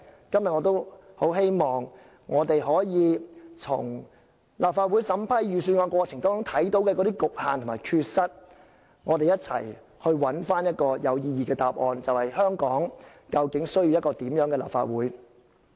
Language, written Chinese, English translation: Cantonese, 今天我很希望可以從立法會審批預算案過程中的局限和缺失，針對香港需要一個怎樣的立法會，一起尋找有意義的答案。, Today having regard to the restraints and inadequacies arising from the Legislative Councils scrutiny of the Budget I hope to join hands with Members to seek a meaningful answer to the question as regards what kind of a Legislative Council does Hong Kong need